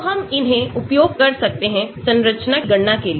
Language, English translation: Hindi, So, we can use it for calculating these structure